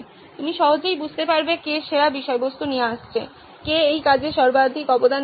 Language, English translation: Bengali, You can easily understand who is bringing in the best content who is providing maximum contribution to this